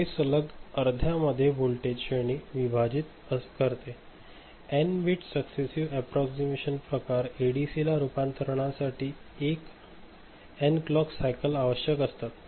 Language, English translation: Marathi, It successively divides voltage range in half, n bit successive approximation type ADC requires n clock cycles for conversion